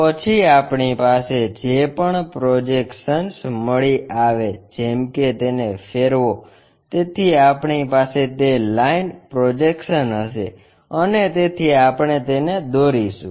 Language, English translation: Gujarati, Then, whatever the projections we get like rotate that, so we will have that line projections and so on we will construct it